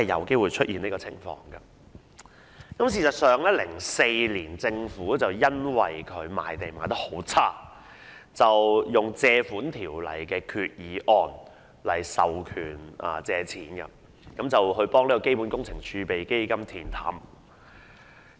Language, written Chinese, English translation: Cantonese, 事實上，政府在2004年因政府賣地情況欠佳而根據《條例》動議決議案授權借款，以填補基本工程儲備基金的赤字。, In fact the Government moved a Resolution under the Ordinance authorizing it to borrow a sum for the purpose of financing the deficit of the Capital Works Reserve Fund CWRF given the poor results of land sale in 2004